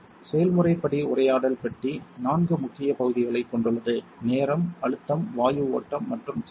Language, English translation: Tamil, The process step dialog box has four major areas; time, pressure, gas flow and power